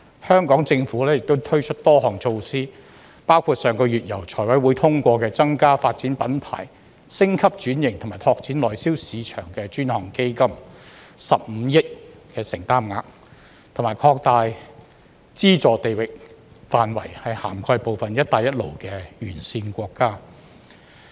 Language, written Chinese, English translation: Cantonese, 香港政府亦推出多項措施，包括上個月由財務委員會通過的增加"發展品牌、升級轉型及拓展內銷市場的專項基金 "15 億承擔額，並擴大資助地域範圍，涵蓋部分"一帶一路"沿線國家。, The Hong Kong Government has also introduced a number of initiatives including an additional financial commitment of 1.5 billion for the Dedicated Fund on Branding Upgrading and Domestic Sales endorsed by the Finance Committee last month alongside an expansion of the geographical scope of its subsidies to encompass certain BR countries and regions